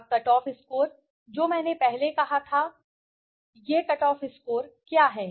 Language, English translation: Hindi, Now the cutoff score which I earlier said, now what is this cutoff score